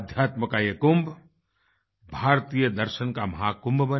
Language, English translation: Hindi, May this Kumbh of Spirituality become Mahakumbh of Indian Philosophy